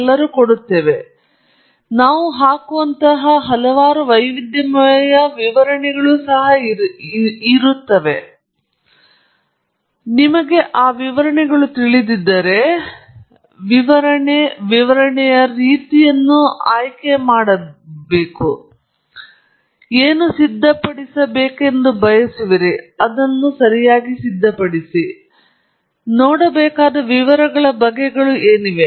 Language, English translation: Kannada, What I am going to show you is that there are varieties of illustrations that we can put up, that we do put up; and if you are aware of it, you can choose which is the illustration type of illustration that you wish to put up, and what are kinds of details that you need to look at